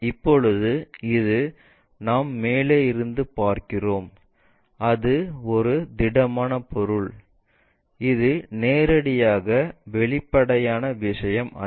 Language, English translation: Tamil, Now, this one because we are looking from top and it is a solid object, it is not straightforwardly transparent thing